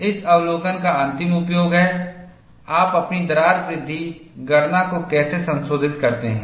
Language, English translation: Hindi, The ultimate usage of this observation is, how do you modify your crack growth calculation